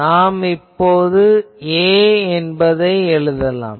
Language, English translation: Tamil, Now, I can write that what is A